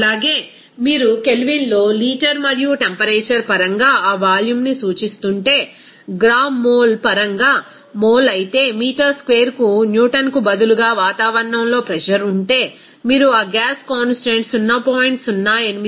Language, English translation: Telugu, Also, if you are representing that volume in terms of liter and temperature in Kelvin, but mole in terms of gram mole, but the pressure is in atmosphere instead of Newton per meter square, then you have to use that gas constant at 0